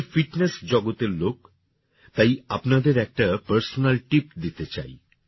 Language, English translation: Bengali, I am from the world of fitness, so I would like to give you a personal tip